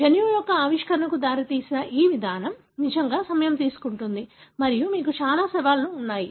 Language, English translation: Telugu, So, this approach that led to the discovery of the gene is really really is time consuming and you have lots of challenges